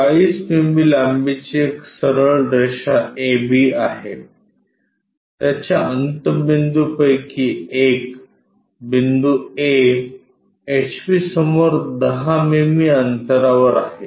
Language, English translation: Marathi, There is a straight line AB of 40 mm length has one of it is ends A at 10 mm in front of HP